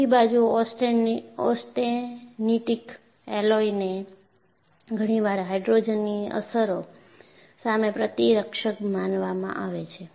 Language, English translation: Gujarati, On the other hand, austenitic alloys are often regarded as immune to the effects of hydrogen